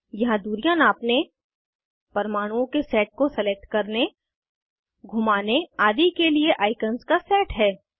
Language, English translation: Hindi, Here is a set of icons to rotate, select a set of atoms, measure distances, etc